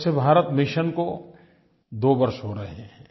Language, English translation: Hindi, Swachchh Bharat Mission is completing two years on this day